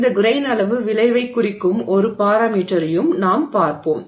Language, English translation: Tamil, And we will also look at a parameter that indicates this grain size effect